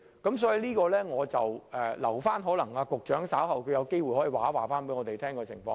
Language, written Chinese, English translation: Cantonese, 因此，或許我留待局長稍後有機會再告知我們相關情況。, Hence maybe let me leave it to the Secretary to tell us about the situation later on if possible